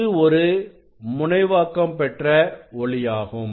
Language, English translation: Tamil, now, this is the polarized light